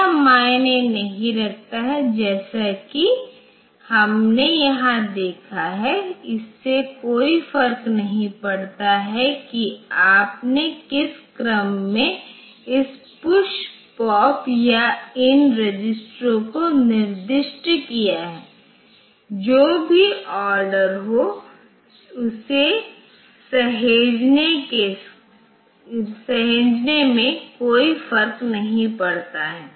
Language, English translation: Hindi, So, as we have seen here it does not matter in which order you have specified this PUSH POP or these registers in this saving whatever be the order, it does not matter